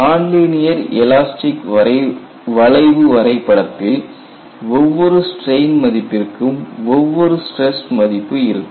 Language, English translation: Tamil, When I have a non linear elastic curve, for every value of strain, you have only one value of stress; there is no difficulty at all